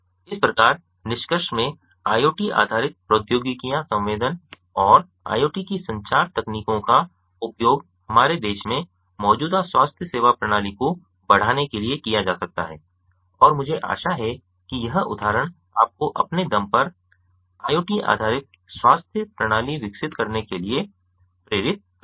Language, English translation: Hindi, thus, in conclusion, iot based technologies, the sensing and the communication technologies of the internet of things, may be used to enhance the existing healthcare system in our country and i hope that this example inspires you to develop ah iot based healthcare systems on your own